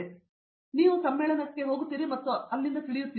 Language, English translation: Kannada, So, you go there and you know there